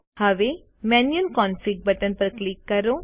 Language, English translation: Gujarati, Now, click on the Manual Config button